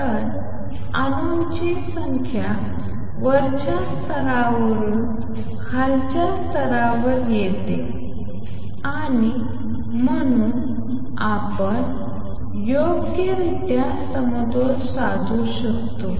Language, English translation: Marathi, So, does the number of atoms that come down from the upper level to lower level and therefore, we may achieve properly equilibrium